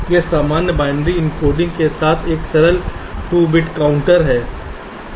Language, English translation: Hindi, this is a simple two bit counter with normal binary encoding